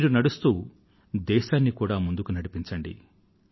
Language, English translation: Telugu, You should move forward and thus should the country move ahead